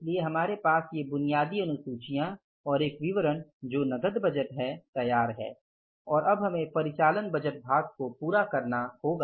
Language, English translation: Hindi, So, these basic schedules and one statement that is a cash budget is ready with us and now we will have to end up the operating budget part